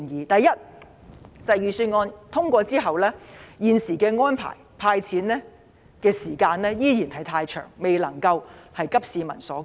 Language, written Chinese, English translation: Cantonese, 第一，在預算案通過後，現時政府提出的"派錢"安排所需的時間依然太長，未能急市民所急。, First the arrangement proposed by the Government for distributing the cash handouts after the passage of the Budget takes too much time and fails to meet the pressing needs of the public